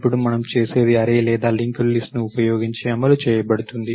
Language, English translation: Telugu, Now, what we do is it could be implemented using either an array or a linked list